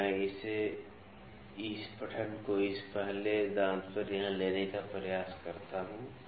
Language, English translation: Hindi, So, let me try to take this reading on this first tooth here